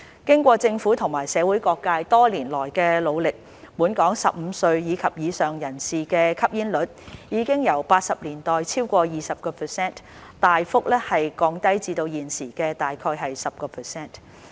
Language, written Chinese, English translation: Cantonese, 經過政府和社會各界多年來的努力，本港15歲及以上人士的吸煙率已由1980年代超過 20%， 大幅降低至現時約 10%。, With the concerted efforts of the Government and various social sectors over the years smoking prevalence among persons aged 15 and above in Hong Kong has significantly dropped from over 20 % in the 1980s to around 10 % at present